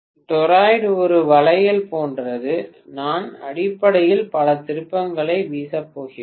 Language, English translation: Tamil, Toroid like a bangle around which I am going to wind many turns basically